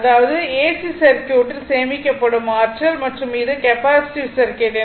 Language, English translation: Tamil, That is, the energy stored in AC circuit and the capacitive circuit right